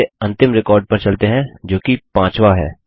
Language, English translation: Hindi, Let us go to the last record which is the fifth